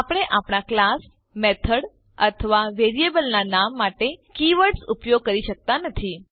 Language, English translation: Gujarati, We cannot use keywords for our class, method or variable name